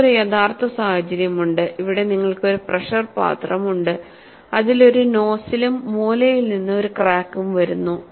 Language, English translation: Malayalam, Then, you have a real life situation, where you have a pressure vessel, which has a nozzle and you have a crack coming out from the corner; it is a corner crack